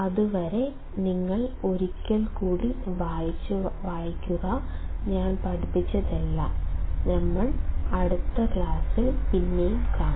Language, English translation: Malayalam, Till then you just read once again, whatever I have taught and I will see you in the next class